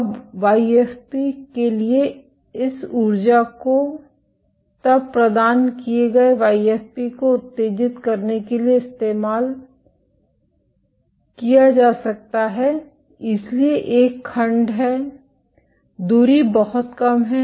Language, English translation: Hindi, Now for YFP, this energy can then be used to excite YFP provided, so there is one clause, the distance is very low